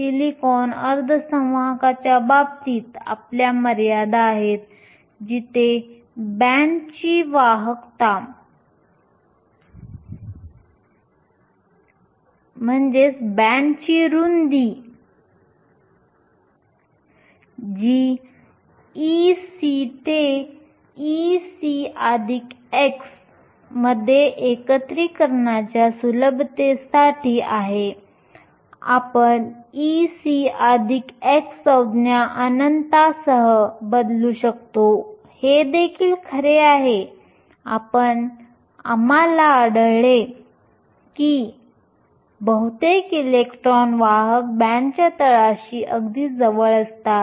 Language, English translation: Marathi, In the case of the silicon semi conductor our limits where the width of the band that goes from e c to e c plus chi for ease of integration, we can replace the e c plus chi term with infinity this is also true because we will find that most of the electrons are located very close to the bottom of the conduction band